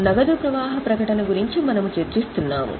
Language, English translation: Telugu, So, we are making a cash flow statement